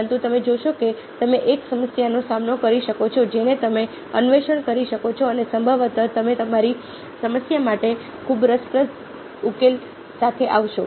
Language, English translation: Gujarati, but you see that you can take up a problem, you can explore it and probably will come up with it's a very interesting solution to your problem